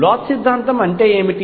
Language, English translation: Telugu, What is Bloch’s theorem